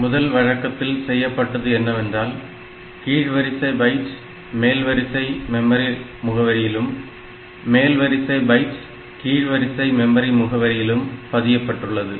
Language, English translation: Tamil, So, in this case in the second case what has happened is that this lower order byte it has been saved in the lower order memory location and this higher order byte it has been saved in the higher order memory location